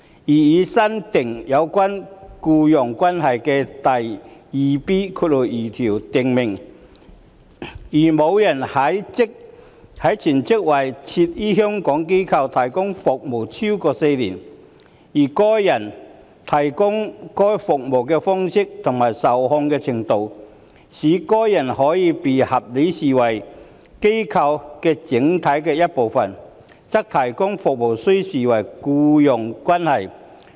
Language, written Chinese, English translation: Cantonese, 擬議新訂有關"僱傭關係"的第 2B2 條訂明，"如某人全職為設於香港的......機構......提供服務超過4年，而該人提供該等服務的方式及受控制的程度，使該人可被合理視為該機構整體的一部分，則提供服務須視為僱傭關係"。, The proposed new section 2B2 concerning employment provides that if a person provides service on a full - time basis to a[n] organization in Hong Kong for a period of more than four years in a way and subject to a degree of control that the person may reasonably be regarded as an integral part of the organization such provision of service is to be regarded as employment